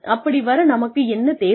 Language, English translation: Tamil, And, what do we need